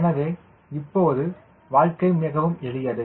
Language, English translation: Tamil, so now life is simple